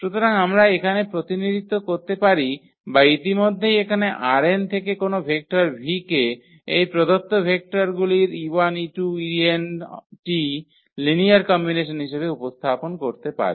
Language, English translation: Bengali, So, we can represent or we have already represented here any vector v from this R n as a linear combination of these given vectors e 1 e 2 e 3 e n